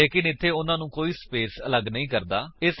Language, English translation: Punjabi, But there is no space separating them